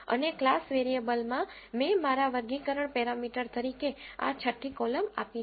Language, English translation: Gujarati, And in the class variables, I have given this 6th column as my classification parameter